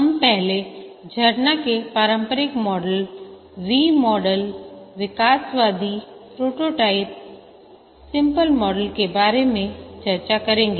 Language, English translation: Hindi, We will first discuss about the traditional models, the waterfall V model evolutionary prototyping spiral model